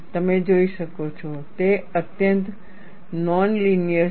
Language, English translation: Gujarati, You could see it is highly non linear